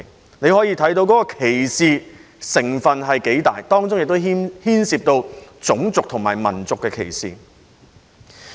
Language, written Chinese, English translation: Cantonese, 由此可見有關的歧視成分有多大，當中亦牽涉種族和民族歧視。, From this we can see how discriminatory the holidays are which involves racial and ethnic discrimination